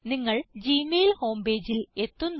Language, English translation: Malayalam, You are directed to the gmail home page